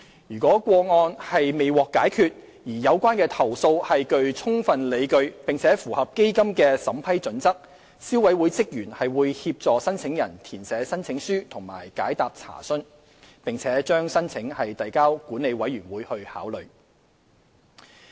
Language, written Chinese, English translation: Cantonese, 如個案未獲解決，而有關投訴具充分理據並符合基金的審批準則，消委會職員會協助申請人填寫申請書及解答查詢，並把申請遞交管理委員會考慮。, If the case could not be resolved and the complaint is substantiated and meets the criteria of the Fund the staff of the Consumer Council will assist the applicant to fill in the application answer any enquiries and refer the case to the Management Committee for consideration